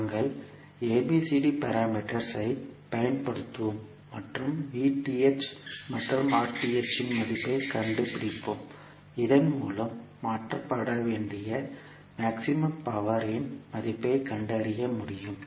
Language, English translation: Tamil, So we will use ABCD parameters and find out the value of VTH and RTH so that we can find out the value of maximum power to be transferred